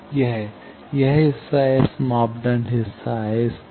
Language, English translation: Hindi, This, this part is the S parameter part, up to this